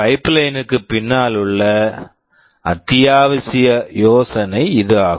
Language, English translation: Tamil, This is the essential idea behind pipelining